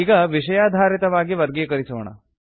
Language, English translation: Kannada, Now, lets sort by Subject